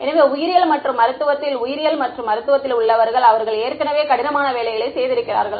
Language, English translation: Tamil, So, biology and medicine people in biology and medicine they have already done the hard work